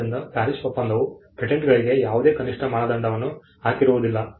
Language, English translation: Kannada, So, the PARIS convention did not set any minimum standard for patents